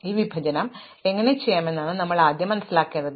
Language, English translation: Malayalam, So, the first thing that we need to understand is how to do this partition